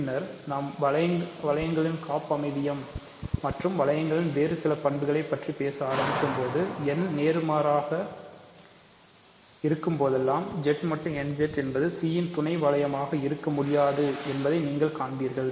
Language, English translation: Tamil, And later on once we start talking about homomorphisms of rings and some other properties of rings, you will see that whenever n is positive Z mod n Z cannot be realized as a sub ring of C